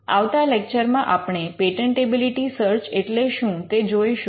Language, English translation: Gujarati, In the next lecture we will see what is a patentability search